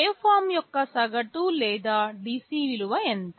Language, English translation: Telugu, What is the average or DC value of the waveform